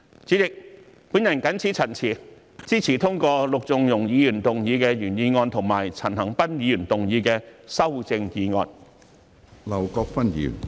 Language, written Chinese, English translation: Cantonese, 主席，我謹此陳辭，支持通過陸頌雄議員的原議案和陳恒鑌議員的修正案。, President with these remarks I support the original motion of Mr LUK Chung - hung and the amendment by Mr CHAN Han - pan